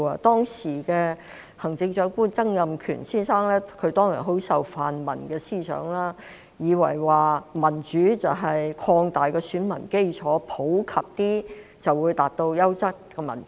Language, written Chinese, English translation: Cantonese, 當時的行政長官曾蔭權先生很受泛民思想影響，以為民主就是擴大選民基礎，普及一些便可以達到優質民主。, Mr Donald TSANG the then Chief Executive was deeply influenced by pan - democratic thinking . He thought that democracy was about expanding the electorate base and that quality democracy could be achieved in the form of a more representative government